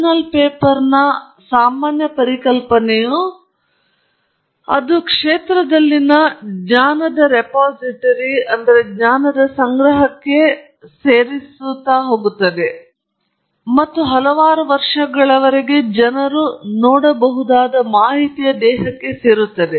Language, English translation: Kannada, The general idea of a journal paper is that it adds to the repository of knowledge in the field, and therefore, it’s something that goes there and joins the body of information that people can look at for several years